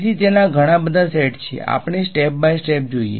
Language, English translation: Gujarati, So, its lot of sets let us go step by step ok